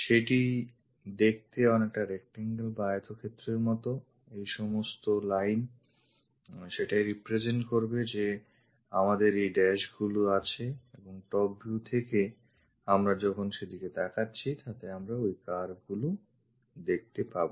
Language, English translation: Bengali, So, it looks like a rectangle the whole lines to represent that we have these dashes and from top view when we are looking that we will be observing those curves